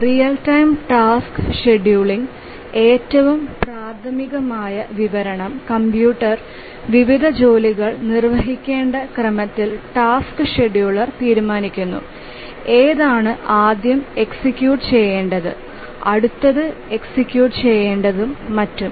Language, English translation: Malayalam, The most elementary description we'll say that the task scheduler decides on the order in which the different tasks to be executed by the computer, which were to be executed first, which one to be executed next, and so on